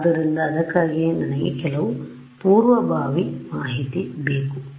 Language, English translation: Kannada, So, that is why I need some a priori information